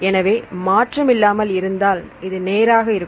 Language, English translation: Tamil, So, if it is without any change then this is straight